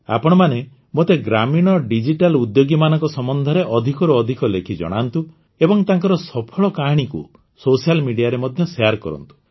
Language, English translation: Odia, Do write to me as much as you can about the Digital Entrepreneurs of the villages, and also share their success stories on social media